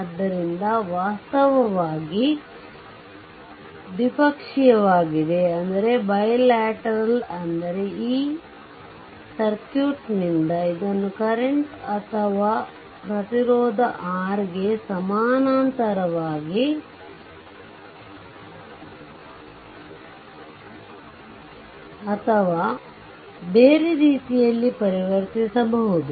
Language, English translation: Kannada, So, this is actually bilateral I mean either from this circuit you can convert it to your current source or resistance R in parallel or in other way